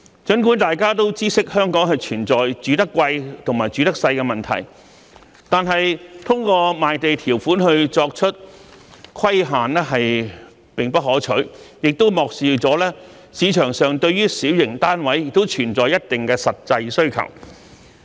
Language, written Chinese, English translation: Cantonese, 儘管大家都知悉香港存在"住得貴，住得細"的問題，但是，通過賣地條款作出規限，並不可取，亦漠視市場上對於小型單位存在一定的實際需求。, While all of us are aware of the problem that people have to pay high rent but live in small units in Hong Kong it is not advisable to impose restrictions by means of the land sale conditions . This also ignores the fact that there is a real demand to a certain extent for small flats in the market